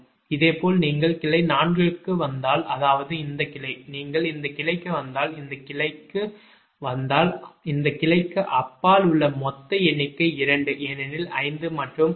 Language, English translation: Tamil, similarly, if you come to branch four, that means this branch, if you come to this branch, right, if you come to this branch, then that total number of beyond this branch is two because five and six